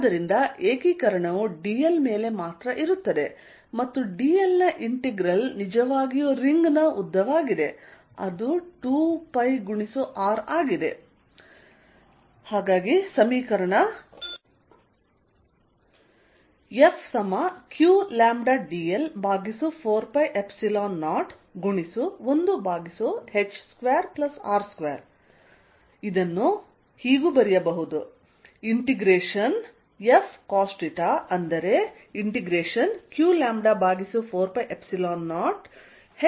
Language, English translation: Kannada, So, only integration comes over dl and integration dl is really the length of the ring which is 2 pi R